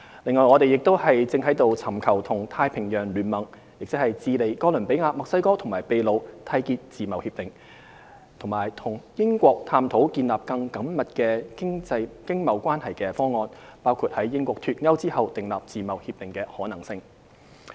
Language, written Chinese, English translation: Cantonese, 另外，我們亦正尋求與太平洋聯盟，即智利、哥倫比亞、墨西哥和秘魯締結自貿協定，以及與英國探討建立更緊密經貿關係的方案，包括在英國脫歐後訂定自貿協定的可能性。, Apart from this we are also seeking to forge an FTA with the Pacific Alliance which includes Chile Colombia Mexico and Peru and exploring with the United Kingdom options for forging even closer economic ties including the possibility of having an FTA after Brexit